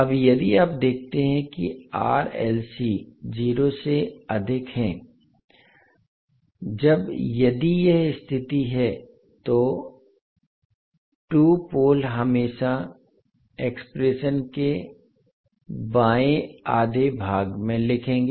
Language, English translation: Hindi, Now if you see that the R, L, C is greater than 0, when, if this is the condition the 2 poles will always write in the left half of the plane